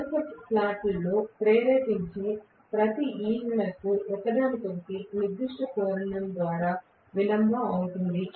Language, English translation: Telugu, Each of the induce EMF in the consecutive slots will be delayed from each other by certain angle